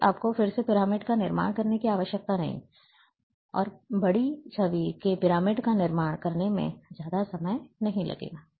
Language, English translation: Hindi, Then you need not to again construct the pyramid, and constructing the pyramid of a large image won’t take much time